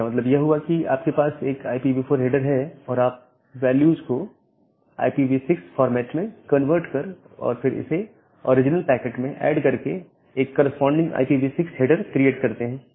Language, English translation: Hindi, That means, you have a IPv4 header and you create a corresponding IPv6 header, by converting the values in the IPv6 format and then add it with the original packet